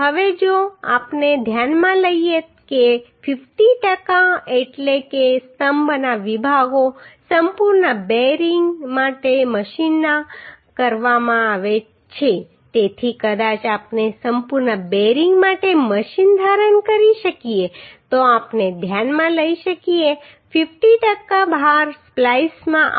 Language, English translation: Gujarati, Now if we consider the 50 per cent means column sections are machined for complete bearing so maybe we can assume machine for complete bearing then we can consider that 50 per cent of the load will come into splice right